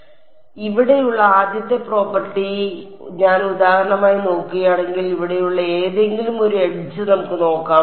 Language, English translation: Malayalam, So, the first property over here is if I look at for example, any one edge over here let us look at T 1